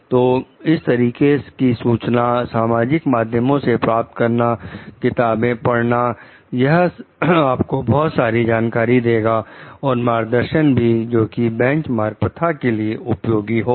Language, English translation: Hindi, So, such of information through public resources, reading of books this is going to give like immense knowledge and guidelines, so, of useful benchmarking practices